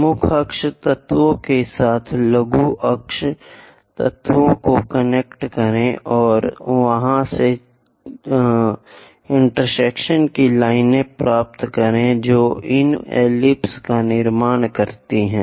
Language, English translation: Hindi, Connect minor axis elements with major axis elements and get the intersection lines from there construct this ellipse